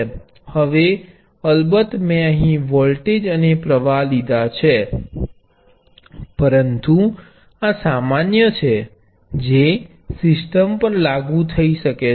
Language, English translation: Gujarati, Now of course, I have taken voltages and current here, but this is the general property that can be applied to systems